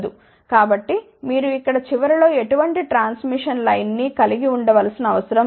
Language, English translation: Telugu, So, you do not need to have any transmission line at the end here